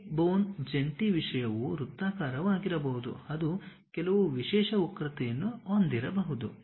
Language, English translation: Kannada, It is not necessary that the hip bone joint kind of thing might be circular, it might be having some specialized curve